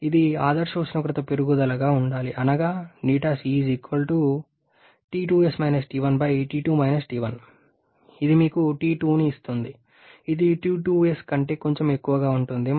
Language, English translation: Telugu, It should be the ideal temperature rise that is T2 T1, actual temperature rise T2 T1 which gives you T2 which will be slightly greater than T2s